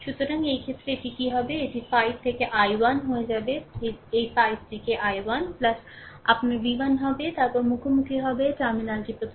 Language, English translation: Bengali, So, in this case, what will happen it will be 5 into i 1 this 5 into i 1 plus your v 1, then encountering minus terminal first